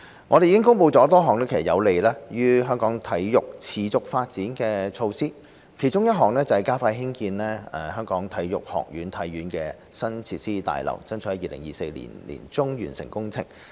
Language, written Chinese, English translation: Cantonese, 我們已公布多項有利於香港體育持續發展的措施，其中一項是加快興建香港體育學院的新設施大樓，爭取在2024年年中完成工程。, We have announced various measures conducive to the sustainable development of sports in Hong Kong one of which is to expedite the construction of the new facilities building of the Hong Kong Sports Institute HKSI and strive for its completion by mid - 2024